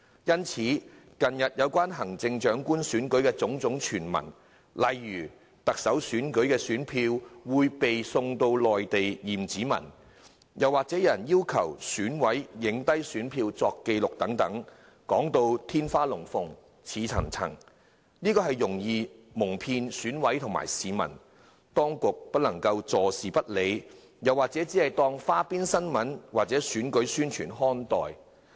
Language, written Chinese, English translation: Cantonese, 因此，近日有關行政長官選舉的種種傳聞，例如選票會送到內地驗指紋，又或是有人要求選舉委員會委員拍下選票作紀錄等，說到天花龍鳳、言之鑿鑿，很容易蒙騙選委及市民，當局不能坐視不理，只當花邊新聞或選舉宣傳看待。, In recent days there have been all kinds of rumours about the Chief Executive Election such as ballot papers will be sent to the Mainland for fingerprint examination or members of the Election Committee EC have been requested to take photos of their ballot papers for record so on and so forth . Such rumours sound very convincing and highly credible; EC members and the public may thus be deceived . Hence the authorities cannot turn a blind eye and regard such rumours as tidbits or election propaganda